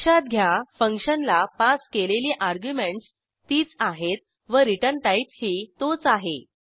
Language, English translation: Marathi, Note that the return type of the function is same and the arguments passed are also same